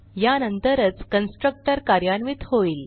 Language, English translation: Marathi, Only then the constructor is executed